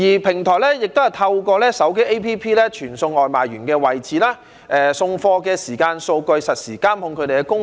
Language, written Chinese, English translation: Cantonese, 平台亦都透過手機 App 傳送外賣員的位置、送貨的時間數據等，實時監控他們的工作。, Such platforms also obtain data including the location of their takeaway delivery workers and their delivery lead time and monitor their work in real time through mobile applications